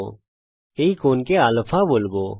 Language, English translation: Bengali, we will call this angle α